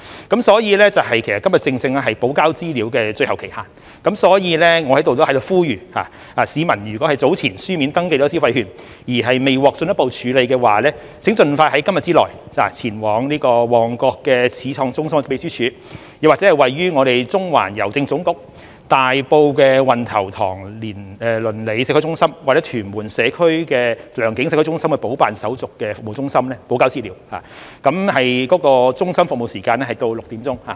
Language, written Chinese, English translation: Cantonese, 今天正是補交資料的最後期限，所以我在此呼籲，市民如果已在早前以書面登記申請消費券而未獲進一步處理的話，請盡快在今天之內前往旺角始創中心的秘書處，又或是位於中環郵政總局、大埔運頭塘鄰里社區中心或屯門良景社區中心的補辦手續服務中心補交資料，而中心的服務時間至6時。, Therefore here I would like to appeal to the public . If anyone has registered in paper form for the consumption vouchers earlier and the registration has not been further processed please go to the Secretariat at Pioneer Centre Mong Kok or one of the service centres at the General Post Office in Central Wan Tau Tong Neighbourhood Community Centre in Tai Po and Leung King Community Centre in Tuen Mun to provide supplementary information to complete the process as soon as possible today . The centres are open until 6col00 pm